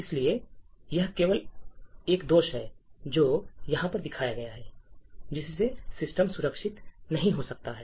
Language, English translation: Hindi, Therefore, it is only this particular flaw, which is shown over here that could lead to a system being not secure